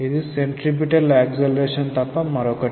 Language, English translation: Telugu, This is nothing but a centripetal acceleration